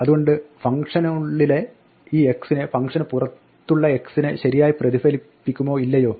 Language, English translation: Malayalam, So, will this x inside the function correctly reflect the x outside the function or not